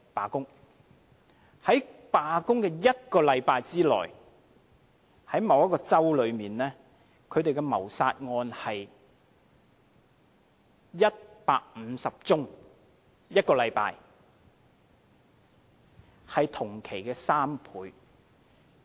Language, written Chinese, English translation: Cantonese, 在警察罷工的1個星期內，某個州的謀殺案有150宗——在1個星期內——是同期的3倍。, During the week - long strike the number of homicide cases in a certain state increased to 150―within one week―which was 3 times the number in ordinary times